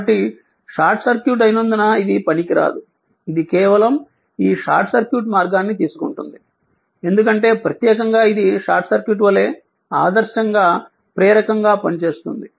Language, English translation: Telugu, So, in that case as it is short circuit this will be ineffective right, it it is just take this short circuit path because particular it it acts like a short circuit as an it an ideally inductor right